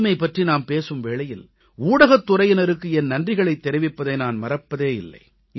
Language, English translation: Tamil, Whenever there is a reference to cleanliness, I do not forget to express my gratitude to media persons